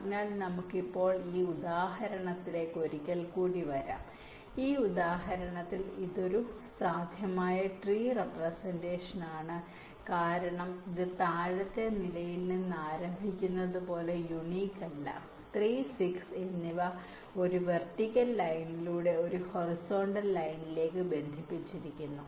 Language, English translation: Malayalam, in this example this is one possible tree representations because it is not unique, like starting from the lower level, three and six are a connected by a vertical line, by a by a horizontal line